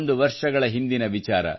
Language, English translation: Kannada, It is a tale of 101 years ago